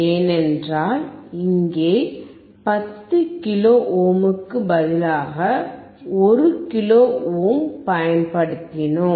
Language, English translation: Tamil, Because instead of 10 kilo ohm here we have used 1 kilo ohm